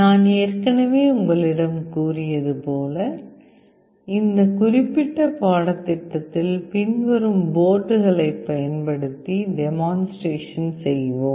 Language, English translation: Tamil, As I have already told you, in this particular course we shall be demonstrating the concepts using the following boards